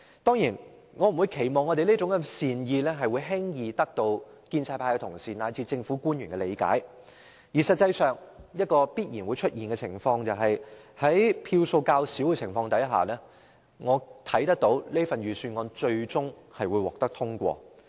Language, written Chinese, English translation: Cantonese, 當然，我不會期望我們善意的忠告會輕易得到建制派同事及政府官員的理解，而必然會出現的情況是在反對票數較少的情況下，《條例草案》最終會獲得通過。, Of course I will not expect pro - establishment Members and government officials to readily appreciate our sincere advice . And a forgone conclusion is that the Bill will be passed at the end of the day due to a smaller number of opposition votes